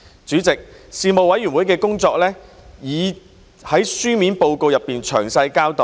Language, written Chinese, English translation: Cantonese, 主席，事務委員會的工作已在書面報告中詳細交代。, President a detailed account of the work of the Panel can be found in the written report